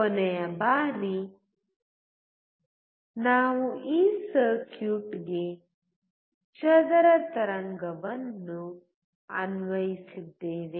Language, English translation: Kannada, Last time, we applied square wave to this circuit